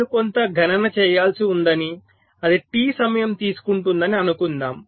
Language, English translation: Telugu, suppose i have some computation that takes a time